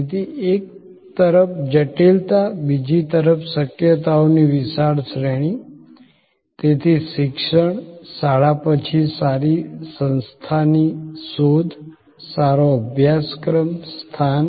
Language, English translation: Gujarati, So, this on one hand complexity on another hand, a huge range of possibilities, so education, post school search for a good institution, a good course, location